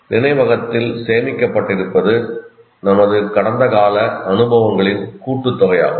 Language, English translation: Tamil, what is stored in the memory is some aspects of all our past experiences